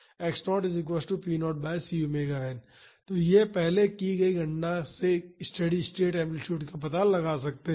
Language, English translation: Hindi, So, we can calculate the value of the steady state amplitude